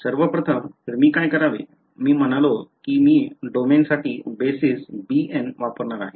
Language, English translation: Marathi, So, first of all what I should do is, I have said that I am going to use the basis b n for the domain